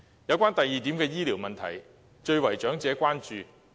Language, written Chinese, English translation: Cantonese, 有關第二點的醫療問題，最為長者關注。, Second the health care issue which is the biggest concern among the elderly